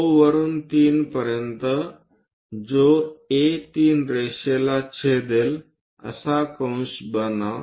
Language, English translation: Marathi, From O to 3 make an arc such that is going to intersect A3 line here